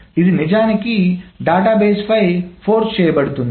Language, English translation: Telugu, It is being actually forced on the database